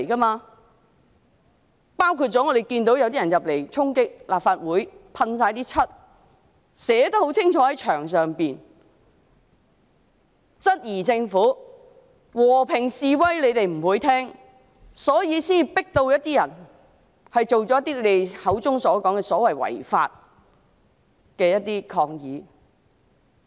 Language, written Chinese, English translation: Cantonese, 我們看到有人衝擊立法會，四處噴漆，在牆上寫得很清楚，他們質疑政府不理會和平示威，所以才迫使一些人作出你們口中所說的違法抗議。, We saw people storm the Legislative Council Complex and apply spray paint all over the place . It was clearly written on the wall . They questioned the Government for ignoring the peaceful demonstrations so some people were forced to stage the unlawful protests described by you people